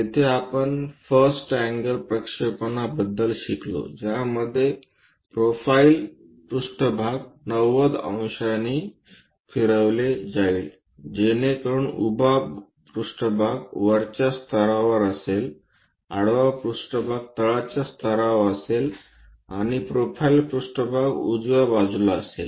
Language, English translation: Marathi, There we learned about first angle projection in which profile plane will be rotated by 90 degrees, so that vertical plane will be at top level, horizontal plane will be at bottom level and profile plane will be on the right hand side